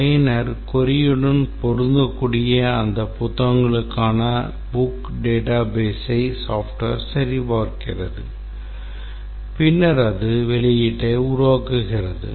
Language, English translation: Tamil, The software checks the book database for those books which match the user query and then it produces the output